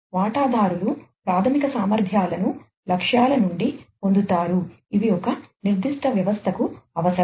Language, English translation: Telugu, Stakeholders obtain the fundamental capabilities from the objectives, which are necessary for a particular system